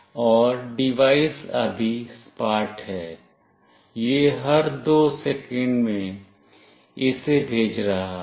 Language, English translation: Hindi, And the device is flat now, every two second it is sending this